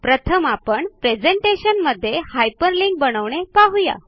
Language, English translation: Marathi, First we will look at how to hyperlink with in a presentation